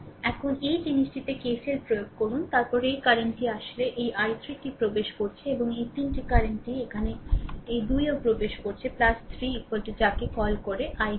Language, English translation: Bengali, Now, you apply KCL at this thing, then this current actually entering this i 3, right and this 3 I current also coming here this 2 are entering plus 3 I is equal to your what you call i 2, right